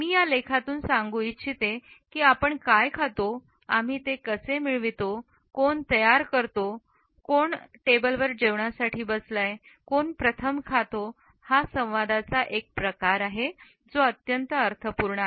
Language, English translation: Marathi, I would quote from this article “what we consume, how we acquire it, who prepares it, who is at the table, who eats first is a form of communication that is rich in meaning